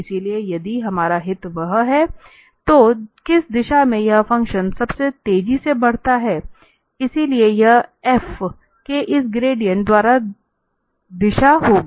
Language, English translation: Hindi, So, if our interest is that, in which direction this function increases most rapidly, so, that will be the direction given by this gradient of f